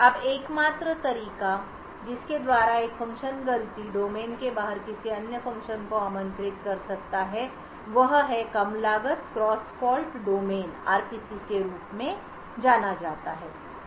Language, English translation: Hindi, Now the only way by which a function can invoke another function outside the fault domain is through something known as a low cost cross fault domain RPCs